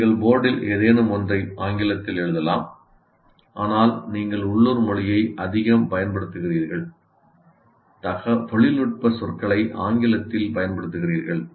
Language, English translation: Tamil, While you may write something on the board in English, but you keep talking, use more of local language and using of course the technical words in English